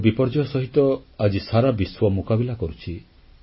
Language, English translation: Odia, The world is facing natural calamities